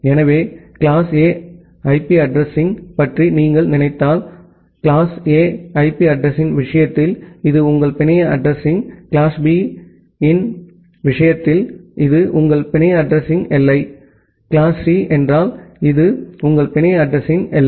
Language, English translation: Tamil, So, if you think about a class A IP address, in case of class A IP address, this was your network address; in case of class B this was your network address boundary; in case class C, this was your network address boundary